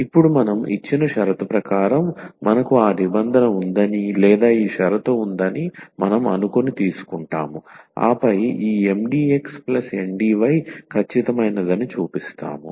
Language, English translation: Telugu, So, here we take now that the given condition is sufficient meaning that we assume that we have this condition or this condition holds, and then we will show that this Mdx plus Ndy is exact